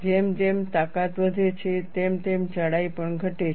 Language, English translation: Gujarati, As the strength increases, thickness also decreases